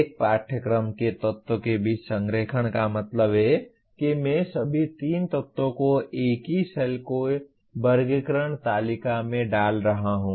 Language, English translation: Hindi, Alignment among the elements of a course means that I am putting all the three elements in the same cell of the taxonomy table